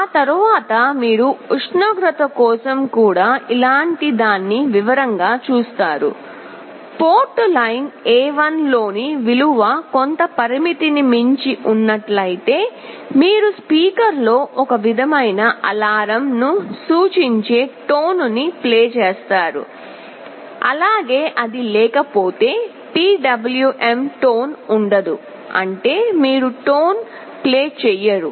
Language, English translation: Telugu, After that you check similar thing for the temperature; if the value on port line A1 is exceeding some threshold, then you play a tone on the speaker that indicates some alarm, but if it is not there will be no PWM tone; that means, you do not play a tone